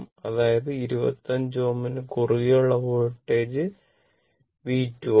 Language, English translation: Malayalam, That is that to a voltage across 25 ohm is V 2 this is 25 ohm